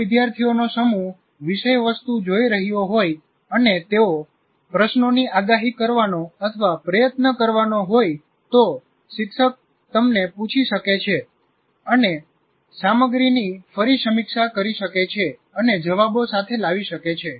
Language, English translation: Gujarati, If a group of students are looking at the content and they are able to try to predict the questions, the teacher might ask, you will go around and review the content and come with the answers